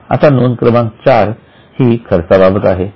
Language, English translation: Marathi, Now, item number four is expenses